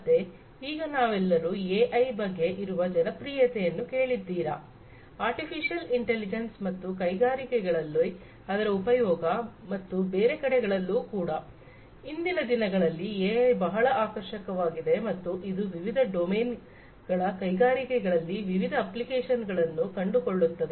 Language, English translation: Kannada, So, at present all of you must have heard about the hype of AI: Artificial Intelligence and its use in the industries and everywhere else in fact, AI has become very attractive in the present times and it finds different applications in different domains industries inclusive